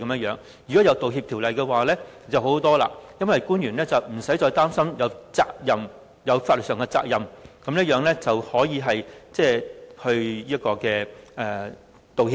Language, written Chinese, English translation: Cantonese, 如果有《條例草案》便好多了，因為官員不用再擔心有法律上的責任，繼而可以道歉。, Things will be fine with the Bill as officials no longer have to worry about any legal consequences then so that they can apologize as appropriate